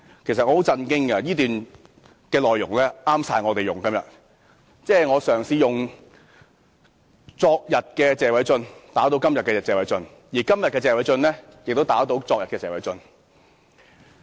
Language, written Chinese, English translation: Cantonese, 其實我感到十分震驚，因為這段說話內容正適合我們今天引用，即我嘗試用昨天的謝偉俊議員打倒今天的謝偉俊議員，而今天的謝偉俊議員亦打倒昨天的謝偉俊議員。, In fact I was shocked to find that these remarks are an apt quote for us to cite today . That is I try to use yesterdays Mr Paul TSE to knock down todays Mr Paul TSE and yesterdays Mr Paul TSE by todays Mr Paul TSE